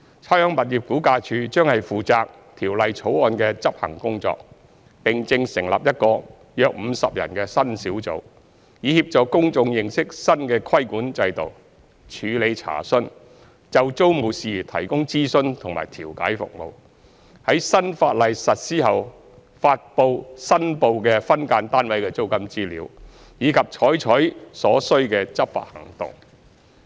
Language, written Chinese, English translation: Cantonese, 差餉物業估價署將負責《條例草案》的執行工作，並正成立一個約50人的新小組，以協助公眾認識新的規管制度；處理查詢；就租務事宜提供諮詢和調解服務；在新法例實施後發布申報的分間單位的租金資料；以及採取所需的執法行動。, RVD will be responsible for administering the Bill and is setting up a new team of about 50 staff to promote public awareness of the new regulatory regime; handle enquiries; provide advisory and mediatory services on tenancy matters; publish summary information about SDU rents reported after implementation of the new law; and take enforcement action as appropriate